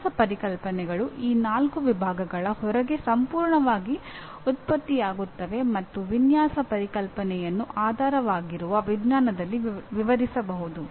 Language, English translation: Kannada, Design concepts are generated completely outside these four categories and a design concept can be explained within/ with the underlying science